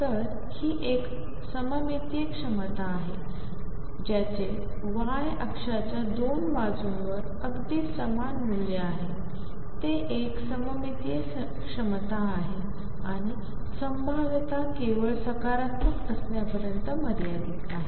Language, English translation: Marathi, So, this is a symmetric potential any potential that has exactly the same value on 2 sides of the y axis is a symmetric potential and does not confine to potential being only positive